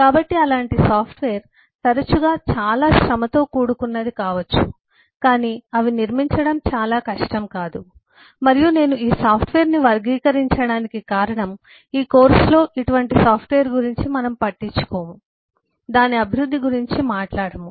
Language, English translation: Telugu, so this such softwares may be often, may be more tedious, but they are not very difficult to build, and the reason I characterize the software is we will not be concerned with, we will not talk about, uh, the development of such software in this course